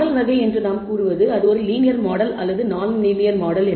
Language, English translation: Tamil, When we say type of model it is a linear model or non linear model